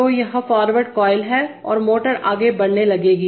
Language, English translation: Hindi, So this is the forward coil and the motor will start moving forward